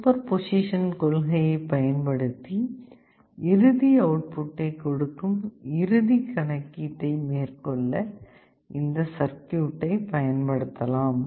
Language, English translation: Tamil, Using principle of superposition you can use this circuit to carry out the final calculation that will give you the final output